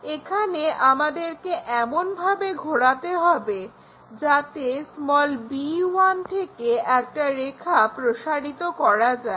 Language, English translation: Bengali, Here, we are going to rotate in such a way that, this b 1 we extend a line to locate b' there